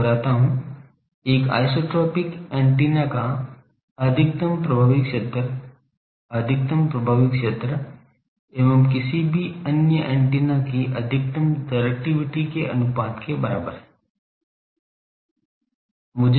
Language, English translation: Hindi, I repeat the maximum effective area of an isotropic antenna is equal to the ratio of the maximum effective area to maximum directivity of any other antenna